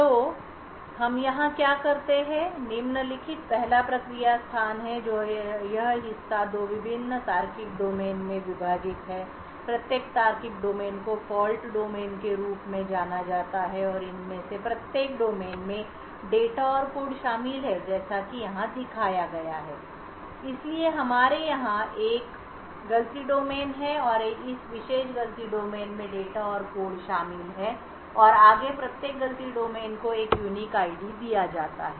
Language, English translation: Hindi, So what we do here is the following first the process space that is this part is partitioned in two various logical domains, each logical domain is known as a Fault Domain and each of these domains comprises of data and code as shown over here, so we have one fault domain over here and this particular fault domain comprises of data and code further each fault domain is given a unique ID